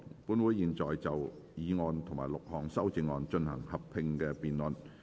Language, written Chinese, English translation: Cantonese, 本會現在就議案及6項修正案進行合併辯論。, This Council will now proceed to a joint debate on the motion and the six amendments